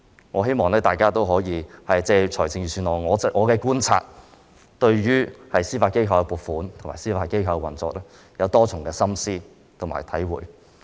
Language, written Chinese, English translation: Cantonese, 我希望大家可以藉着我的觀察，對預算案向司法機構的撥款和司法機構的運作有多一層深思和體會。, I hope that Members will have a deeper reflection and understanding about the funding allocated to the Judiciary in the Budget and the operation of the Judiciary based on my observation